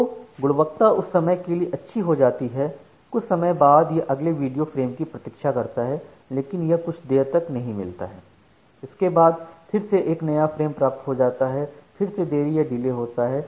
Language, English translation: Hindi, So, the quality some time it good becomes good some time there is a it is waiting for the next video frame, but it is not getting that, after that it is again immediately getting the frame, then again there is a delay